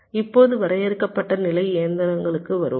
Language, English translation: Tamil, now let us come to finite state machines